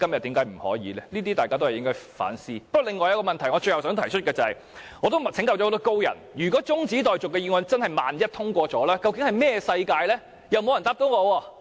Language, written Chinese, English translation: Cantonese, 不過，我最後想提出另一個問題，就是我曾請教很多高人，萬一中止待續議案真的通過了，這究竟是甚麼世界？, Lastly I would like to ask another question . I have consulted many learned persons about what will happen if the adjournment motion is really passed but none of them can answer my question